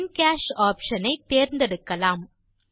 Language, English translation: Tamil, Lets select the In Cash option